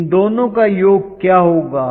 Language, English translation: Hindi, What will be the summation of these two